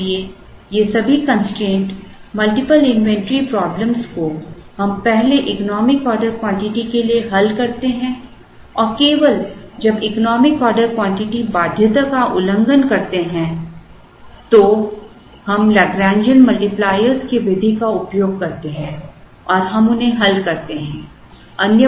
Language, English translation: Hindi, So, all these constraint multiple inventory problems we first solve for the economic order quantity and only when the economic order quantity violates the condition, we use the method of lagrangian multipliers and we solve them